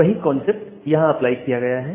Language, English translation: Hindi, So, similar concept is applied here